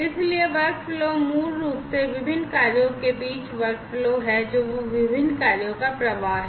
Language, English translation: Hindi, So, workflow is basically the workflow among the different tasks that flow of different tasks